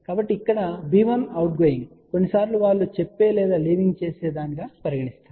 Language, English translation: Telugu, So, over here b 1 is outgoing sometimes just say or leaving wave